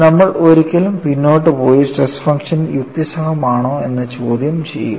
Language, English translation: Malayalam, You never go back and then question, whether the stress function was reasonably good enough